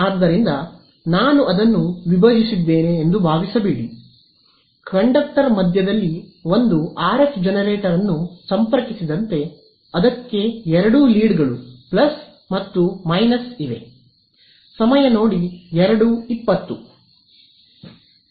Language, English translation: Kannada, So, don’t think that I have split the conductor its one conductor and in the middle as connected one RF generator both the leads to it plus and minus